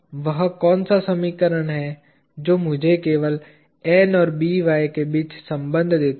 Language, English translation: Hindi, What is the equation that gives me a relationship between N and By only